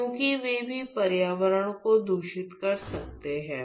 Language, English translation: Hindi, Because even that they could contaminate the environment